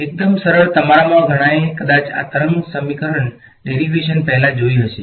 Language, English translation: Gujarati, Fairly simple many of you have probably seen this wave equation derivation earlier ok